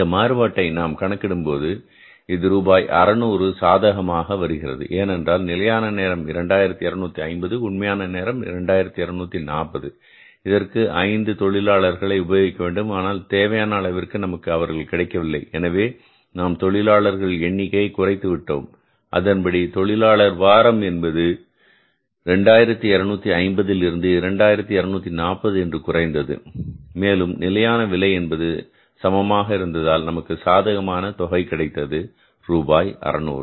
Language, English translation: Tamil, 40 and if you calculate this variance you find it out, this variance will work out as how much this will come up as rupees 600 favorable because standard rate standard time was double two five zero actual time is double two four zero because we have used five less skilled workers because they were not available in the required amount so we have reduced the number of the skilled workers so accordingly the labor weeks also weeks also have come down from the 2 250 to 2 40 and the rate, standard rate remaining the same, your variance has become favourable that is why a sum of rupees 600